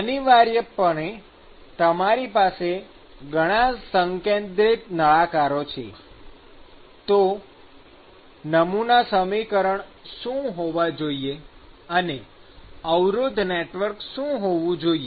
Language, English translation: Gujarati, So, essentially you have many concentric cylinders; and what should be the model equation and what should be the resistance network